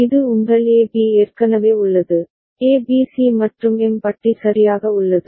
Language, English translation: Tamil, And this is your A B is already there, A B C and M bar is there right